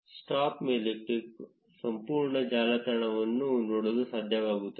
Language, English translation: Kannada, If you click on stop, you will be able to see the entire network